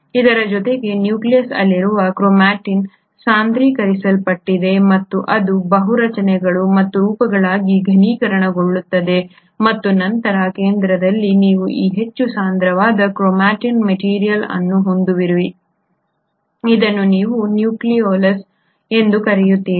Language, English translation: Kannada, In addition to this you find that the chromatin in the nucleus is condensed and it gets condensed into multiple structures and forms and then at the centre you have this highly compacted chromatin material which is what you call as the nucleolus